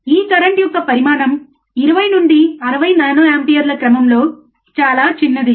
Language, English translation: Telugu, tThe magnitude of this current is very small, in order of 20 to 60 nano amperes